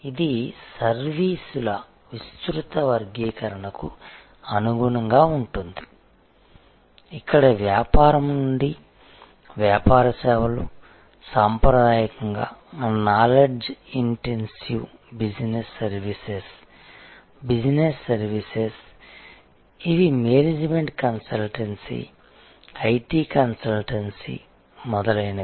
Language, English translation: Telugu, It is in conformity with this broader classification of services, where we see business to business services traditional, knowledge intensive business services business to business services, these are like management consultancy, IT consultancy, etc